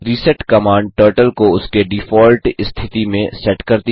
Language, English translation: Hindi, reset command sets Turtle to its default position